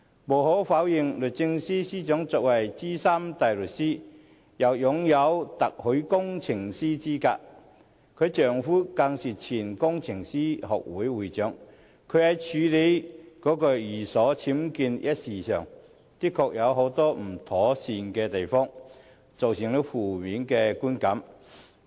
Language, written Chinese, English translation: Cantonese, 無可否認，律政司司長是資深大律師，亦擁有特許工程師資格，丈夫更是香港工程師學會前會長，她在處理寓所僭建一事上，的確有很多不妥善的地方，造成了負面的觀感。, The Secretary for Justice is a Senior Counsel possessing Chartered Engineer qualification and her husband is a former President of the Hong Kong Institution of Engineers . Undoubtedly there were indeed inadequacies in her handling of UBWs in her residence thus giving rise to negative perceptions